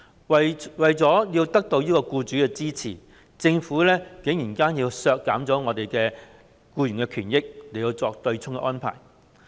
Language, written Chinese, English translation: Cantonese, 為了得到僱主的支持，政府竟然削減僱員的權益，作出對沖安排。, In order to win the support of employers the Government daringly reduced the rights and interests of employees by introducing the offsetting arrangement